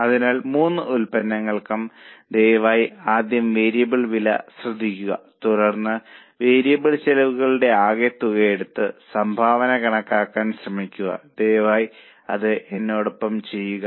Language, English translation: Malayalam, So, for all the three products, please note the variable cost first, then take the total of variable cost and try to compute the contribution